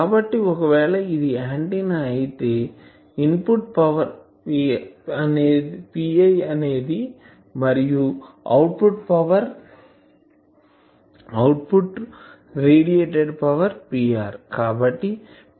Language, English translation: Telugu, So, if this is an antenna , the input power is p i and it is output is a radiated power p r